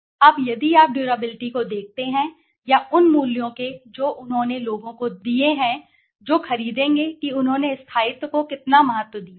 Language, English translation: Hindi, Now, if you look at the durability or the values of what they have given the people who would purchase how importance they have offered to durability